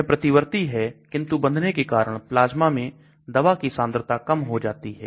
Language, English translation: Hindi, It is reversible but because of this binding concentration of the drug in the plasma comes down